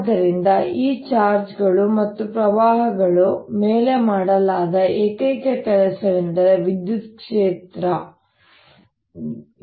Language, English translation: Kannada, so the only work that is done on these charges and currents is by the electric field